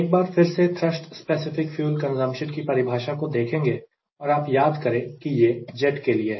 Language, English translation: Hindi, let us revisit what is the definition of thrust specific fuel consumption and if you recall it is for jet